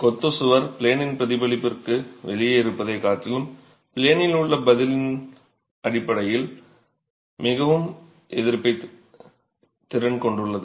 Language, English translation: Tamil, The masonry wall is more resistant in terms of in plain response rather than out of plane response